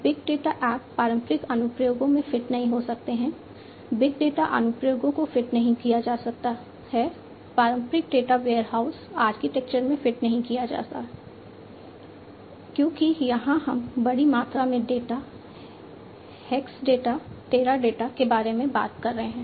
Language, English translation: Hindi, Big data apps cannot be fit in traditional applications, cannot be fit big data applications cannot be fit in traditional data warehouse architectures because here we are talking about large volumes of data, Exadata, Teradata and so on